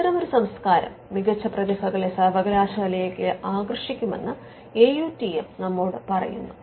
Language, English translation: Malayalam, So, when that culture is there AUTM tells us that it could attract better talent to the university